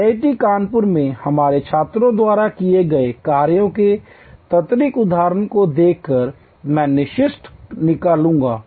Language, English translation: Hindi, I will conclude by showing to quick examples of the work done by our students at IIT Kanpur